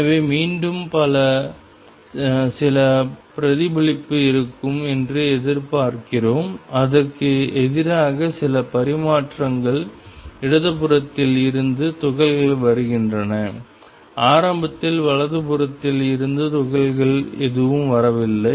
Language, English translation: Tamil, So, again we expect that there will be some reflection and some transmission against is the particles are coming from the left initially there no particles coming from the right